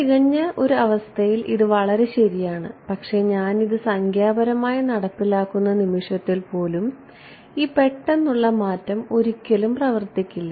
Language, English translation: Malayalam, In the perfect world this is great right, but even when I go the moment I implement it numerically there are still some reflections that happened this abrupt change never works